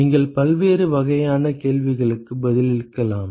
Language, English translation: Tamil, You can answer different kinds of questions